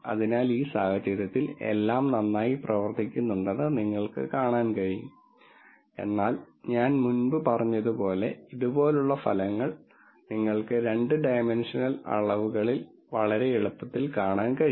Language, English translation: Malayalam, So, you can see that in this case everything seems to be working well, but as I said before you can look at results like this in 2 dimensions quite easily